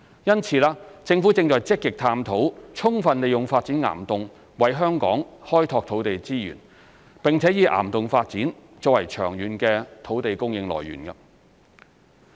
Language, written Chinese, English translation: Cantonese, 因此，政府正積極探討充分利用發展岩洞為香港開拓土地資源，並以岩洞發展作為長遠的土地供應來源。, Accordingly the Government is actively exploring the use of rock cavern development to expand the land resources of Hong Kong and as a viable source of long - term land supply